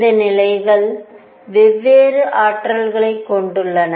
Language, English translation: Tamil, These levels have different energies